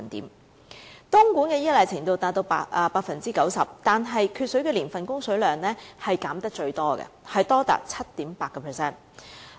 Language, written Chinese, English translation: Cantonese, 東莞對東江水的依賴程度達到 90%， 但缺水年份的供水量被削減得最多，達到 7.8%。, The degree of reliance of Dongguan on Dongjiang water reaches 90 % but in the years with deficient water supply the water supply quantity will be cut by the greatest amount reaching 7.8 %